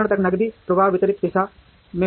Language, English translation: Hindi, Cash flow will happen in the opposite direction